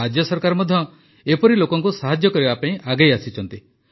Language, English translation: Odia, The state government has also come forward to help such people